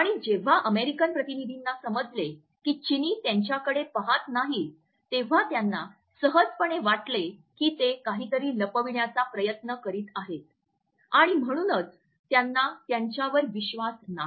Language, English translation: Marathi, And when the American delegates found that the Chinese are not looking at them, they simply felt that they are trying to hide something and therefore, they did not have any trust in them